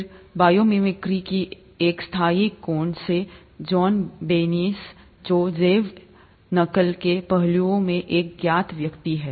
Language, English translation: Hindi, Then bio mimicry from a sustainable angle; Janine Benyus, who is a known person in bio mimicry aspects